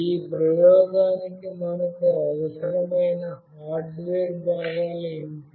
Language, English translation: Telugu, What are the hardware components that we require for this experiment